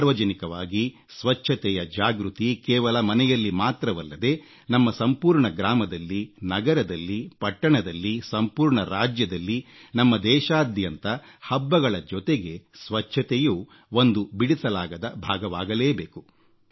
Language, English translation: Kannada, Public cleanliness must be insisted upon not just in our homes but in our villages, towns, cities, states and in our entire country Cleanliness has to be inextricably linked to our festivals